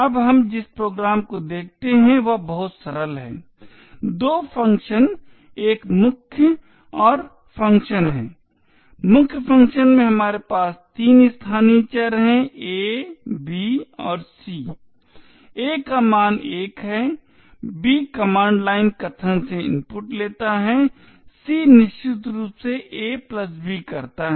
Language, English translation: Hindi, Now the program we look at is very simple there are two functions a main and the function, in the main function we have three local variables a, b and c, a has a value of 1, b takes it is input from the command line arguments and c essentially does a + b